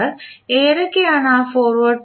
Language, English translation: Malayalam, What are those forward Path